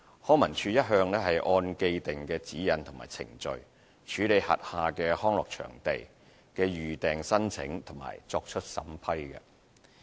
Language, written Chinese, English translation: Cantonese, 康文署一向按既定的指引和程序，處理轄下康樂場地的預訂申請及作出審批。, LCSD has all along processed and assessed the booking applications for using its leisure venues according to the established guidelines and procedures